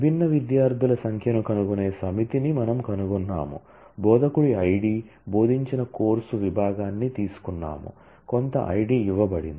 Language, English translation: Telugu, We find the set of the find the total number of distinct students, we have taken the course section taught by the instructor Id, some Id is given